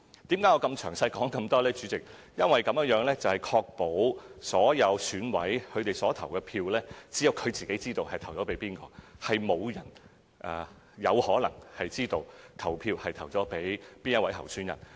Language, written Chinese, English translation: Cantonese, 因為我想指出，這樣可以確保只有各選委自己才知道其本身的投票決定，沒有其他人有可能知道他們投給哪位候選人。, It is because I want to show that our procedures can ensure that only EC members themselves know their own voting decisions and no others will know which candidates they have voted for